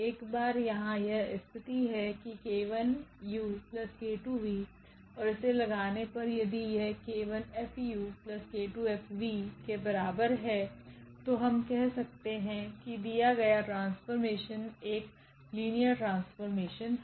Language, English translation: Hindi, Once this condition here that k u plus k 2 v on this F and we apply if it is equal to k 1 F u and k 2 F v then we can call that the given transformation is a linear transformation